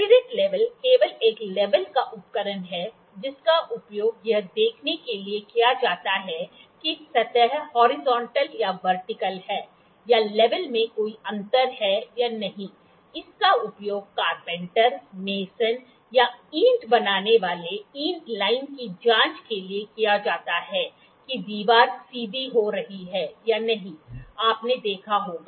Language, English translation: Hindi, Spirit level is an instrument or it is a simply level or an instrument that is used to see whether the surfaces are horizontal or vertical, or is there any difference in the level or not; it is used by carpenters, masons or the for checking the bricklayer brick line, that is the wall getting straighten or not, we can you might have seen that